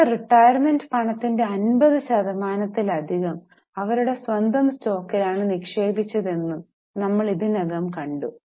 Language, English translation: Malayalam, We have already seen this, that more than 50% of their retirement money was invested in their own stock